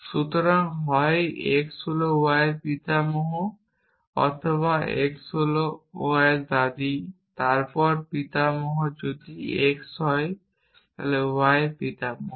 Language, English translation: Bengali, So, either x is a grandfather of y or x is a grandmother of y then grandfather if x is a grandfather of y